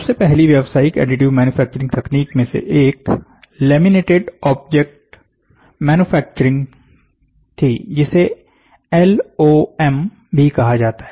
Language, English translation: Hindi, One of the first commercialized additive manufacturing technique was laminated object manufacturing, which is otherwise called as LOM